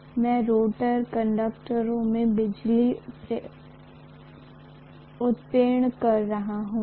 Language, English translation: Hindi, So I am inducing electricity in the rotor conductors